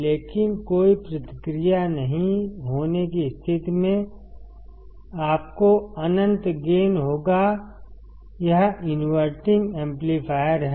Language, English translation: Hindi, But in case of no feedback you will have infinite gain, this is the inverting amplifier